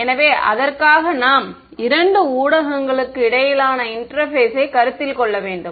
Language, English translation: Tamil, So for that we have to consider the interface between two media